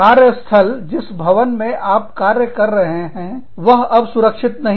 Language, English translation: Hindi, Or, the workplace, the building, that you worked in, is no longer safe